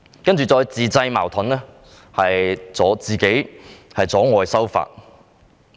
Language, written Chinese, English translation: Cantonese, 接着，當局自製矛盾阻礙修法。, Then the authorities created obstacles to hinder the amendment to the Ordinance